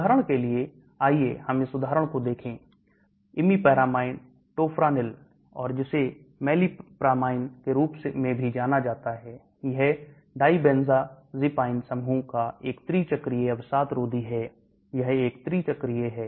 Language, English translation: Hindi, For example, let us look at this example, imipramine Tofranil and also known as melipramine, this is a tri cyclic antidepressant of the dibenzazepine group, this is a tri cyclic